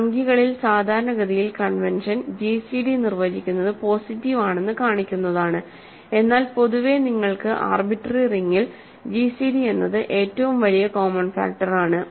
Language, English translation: Malayalam, In integers typically convention is to show that define the gcd is positive, but in general for an arbitrary ring you have the gcd is just the largest common factor